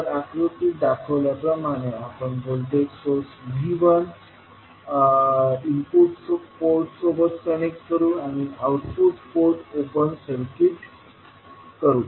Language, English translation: Marathi, In this case will connect a voltage source V2 to the output port and we will keep the input port as open circuit